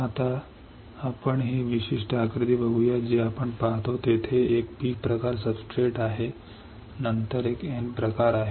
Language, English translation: Marathi, Now, let us see this particular figure what we see there is a P types of substrate then there is a N type